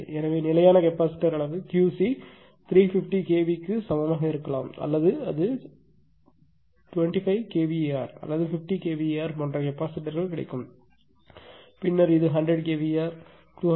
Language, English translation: Tamil, So, standard capacitor size maybe Q c is equal to 350 kilo hour it is actually capacitors are available in band like you will 25 kilo hour, 50 kilo hour, and then this is 100 kilo hour, then your 200 kilo hour like that